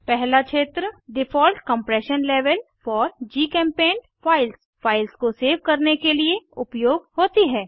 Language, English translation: Hindi, The first field, Default Compression Level For GChemPaint Files, is used when saving files